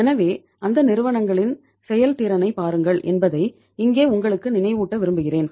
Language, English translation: Tamil, So here I would like to remind you that look at the efficiency of those companies